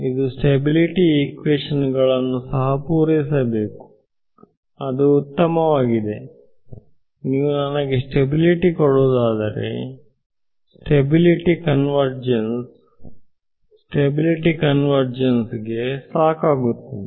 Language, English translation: Kannada, It also should satisfy the consistency equations, that is fine then its saying that if you can give me stability, stability is necessary and sufficient for convergence ok